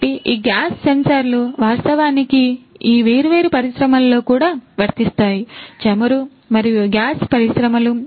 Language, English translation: Telugu, So, those gas sensors are actually also applicable in these different industries; oil and gas industries right